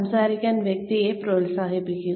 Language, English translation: Malayalam, Encourage the person to talk